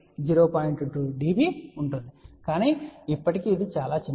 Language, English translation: Telugu, 2 db, but still it is very small